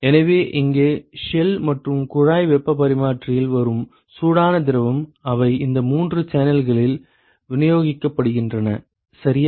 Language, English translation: Tamil, So, here the hot fluid which comes into the shell and tube heat exchanger, they get distributed into these three channels ok